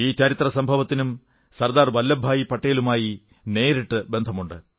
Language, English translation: Malayalam, This incident too is directly related to SardarVallabhbhai Patel